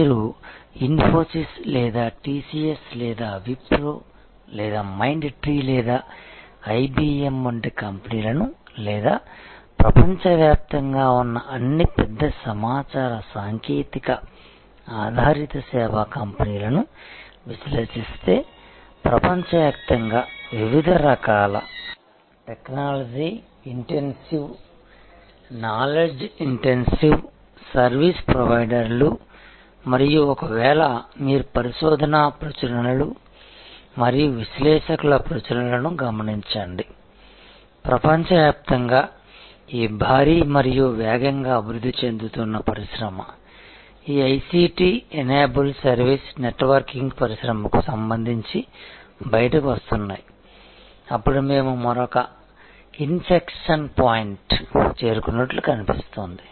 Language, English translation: Telugu, So, if you study the companies like Infosys or TCS or Wipro or Mind tree or IBM or all the big information technology based service companies around the world, various kind of technology intensive, knowledge intensive service providers around the world and if you observe the research publications and analyst publications, those are coming out with respect to this huge and rapidly growing industry around the world, this ICT enabled service networking industry, then we appear to have reach another inflection point